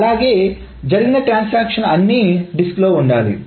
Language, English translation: Telugu, All the transactions that are done must also be persistent on the disk